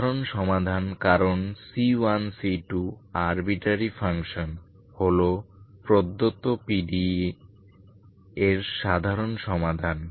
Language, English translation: Bengali, General solution because C1 C2 are arbitrary functions is the general solution of given PD